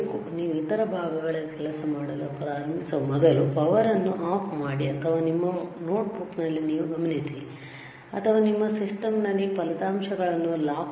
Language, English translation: Kannada, Switch off the power before you start working on other parts, or you note down in your notebook, or you lock down the results in your system, right